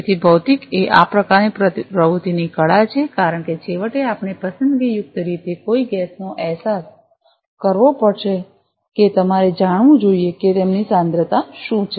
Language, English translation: Gujarati, So, materially is the art of this kind of activity because finally, we will have to sense selectively a gas you should know what is their concentration